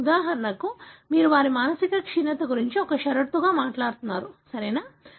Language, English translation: Telugu, For example, you are talking about their mental retardation as a condition, right